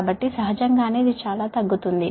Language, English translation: Telugu, so naturally this much will be reduce